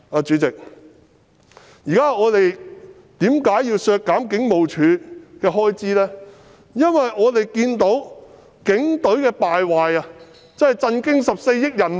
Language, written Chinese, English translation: Cantonese, 主席，我們為甚麼要削減警務處的開支，因為我們看到警隊的敗壞簡直震驚14億人民。, Chairman why do we have to cut the expenditure for HKPF? . It is because we have seen that the Police have rotten to the extent that the 1.4 billion people are shocked